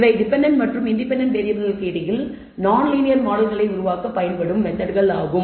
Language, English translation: Tamil, These are methods that are used to develop non linear models between the dependent and independent variable